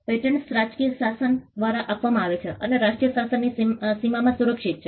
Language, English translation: Gujarati, Patents are granted by the national regimes and protected within the boundaries of the national regime